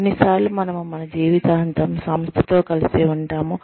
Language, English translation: Telugu, Sometimes, we stay, with the organization, for our entire lives